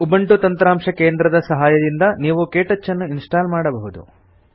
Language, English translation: Kannada, You can install KTouch using the Ubuntu Software Centre